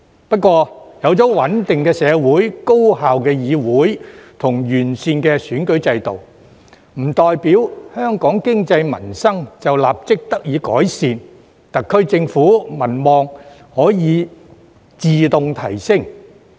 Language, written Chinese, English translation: Cantonese, 不過，有了穩定的社會、高效的議會及完善的選舉制度，並不代表香港經濟民生立即得以改善，特區政府民望可自動提升。, However having a stable society an efficient legislature and an improved electoral system does not mean that Hong Kongs economy and livelihood can be improved immediately or that the popularity of the SAR Government can rise automatically either